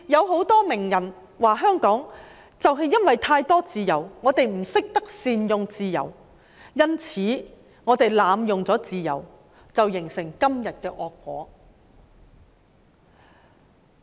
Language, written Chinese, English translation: Cantonese, 很多名人說，就是因為香港有太多自由，而人們不懂得善用自由，因此自由才會被濫用，造成今天的惡果。, Many celebrities say that it is due to too much freedom in Hong Kong which could not be made good use of by people that freedom would be abused resulting in the evil consequence today